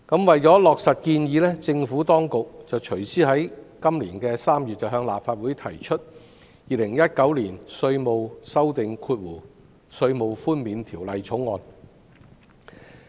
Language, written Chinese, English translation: Cantonese, 為落實建議，政府當局隨之在今年3月向立法會提交《2019年稅務條例草案》。, To give effect to the proposal the Administration subsequently presented to this Council in March this year the Inland Revenue Amendment Bill 2019 the Bill